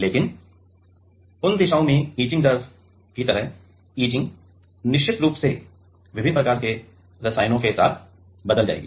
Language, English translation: Hindi, But, in those directions; etching like the magnitude of etching rate will change definitely with different kind of chemicals